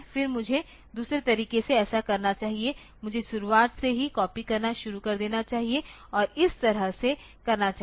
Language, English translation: Hindi, Then I should do the other way so, I should start copying from the beginning and do it this way in this fashion